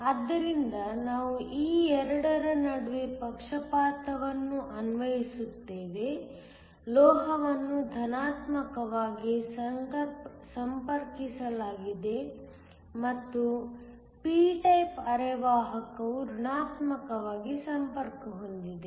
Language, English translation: Kannada, So, we apply a bias between these 2, the metal is connected to positive and the p type semiconductor is connected to negative